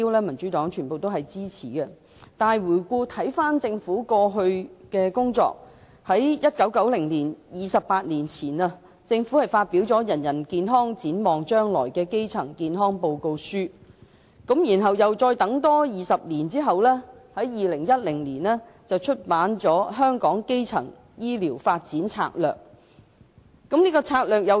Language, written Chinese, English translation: Cantonese, 民主黨支持這些大目標，但回顧政府過去的工作，政府在28年前的1990年發表有關基層健康的《人人健康，展望將來》報告書，而在20年後的2010年，政府再發表《香港的基層醫療發展策略文件》。, The Democratic Party supports these major objectives . But if we look back at the Governments previous efforts we will see that it issued a primary health care report entitled Health for all the way ahead 28 years ago in 1990 and 20 years later in 2010 the Government further issued the Primary Care Development in Hong Kong Strategy Document